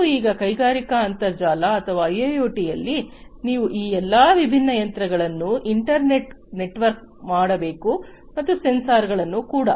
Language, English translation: Kannada, Because you have to now in the industrial internet or IIoT you have to internet work all these different machines and consequently these different sensors